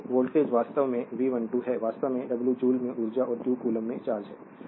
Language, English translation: Hindi, So, voltage actually that is your V 12 actually dw of dw by dq the w is the energy in joules and q the charge in coulomb